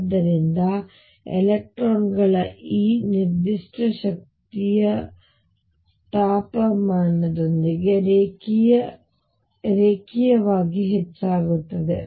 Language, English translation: Kannada, So, this specific heat of the electrons increases linearly with temperature